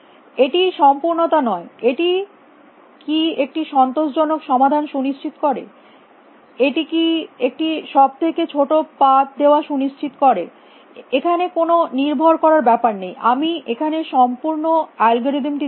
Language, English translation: Bengali, Not completeness, does it guarantee an optimal solution does it guarantee shortest path there is depending upon I have given the algorithm completely